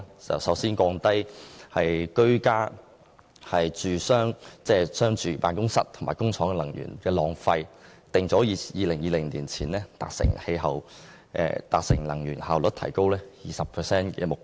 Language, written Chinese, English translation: Cantonese, 首先，降低居家、住商辦公室及工廠的能源浪費，訂定2020年前達成能源效率提高 20% 的目標。, First of all they seek to cut energy waste in homes businesses and factories with the goal of becoming at least 20 % more energy efficient by 2020